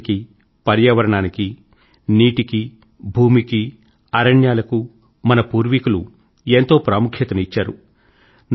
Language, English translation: Telugu, Our forefathers put a lot of emphasis on nature, on environment, on water, on land, on forests